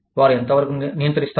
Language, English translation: Telugu, How much, do they control